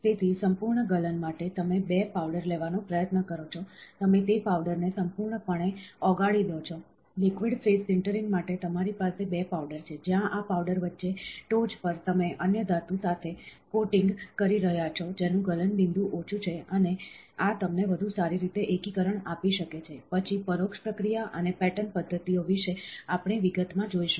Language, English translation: Gujarati, So, full melting is; you try to take 2 powders, you fully melt those powders, liquid phase sintering is; you have 2 powders, where in between these powders on top, you are coating with another metal which has a lower melting point and this can give you a better consolidation, then indirect processing and pattern methods, we will see in details